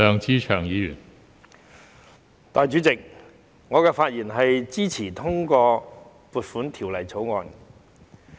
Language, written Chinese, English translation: Cantonese, 代理主席，我發言支持通過《2021年撥款條例草案》。, Deputy President I speak in support of the Appropriation Bill 2021 the Bill